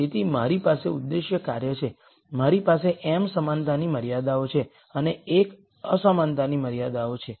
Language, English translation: Gujarati, So, I have the objective function, I have m equality constraints and l inequality constraints